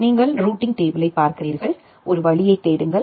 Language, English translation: Tamil, You look into the routing table, make a route lookup